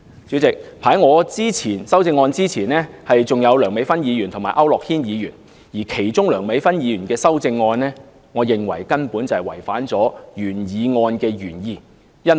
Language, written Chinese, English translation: Cantonese, 主席，在我的修正案之前還有梁美芬議員及區諾軒議員的修正案，而梁議員的修正案，我認為根本違反了原議案的原意。, President before my amendment there were amendments proposed by Dr Priscilla LEUNG and Mr AU Nok - hin . And Dr LEUNGs amendment I think was a sheer violation of the original intent of the original motion